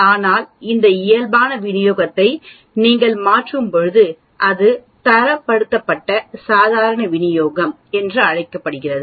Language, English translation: Tamil, But when you transform this normal distribution and that is called standardized normal distribution